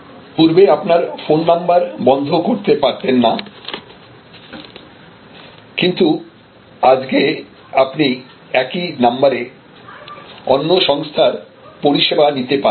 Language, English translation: Bengali, So, you could not abandon the phone number, now you can take your phone number and go to another service provider